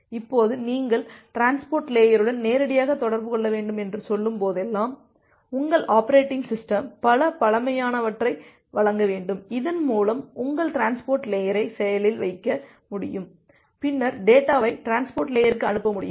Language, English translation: Tamil, Now whenever you are saying that you need to directly interact with the transport layer, your operating system should provide certain primitives through which you will be able to make your transport layer active and then send the data to your transport layer